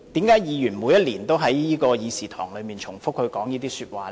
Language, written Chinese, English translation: Cantonese, 為何議員每年都在這議事堂重複這些說話呢？, But why are Members repeating these arguments in this Chamber every year?